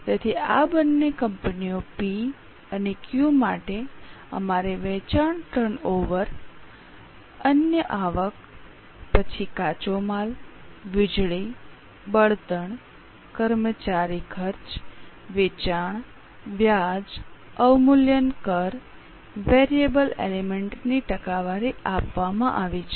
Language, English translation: Gujarati, So, for these two companies P and Q we have got sales turnover, other income, then raw material, power, fuel, employee costs, selling, interest, depreciation, taxes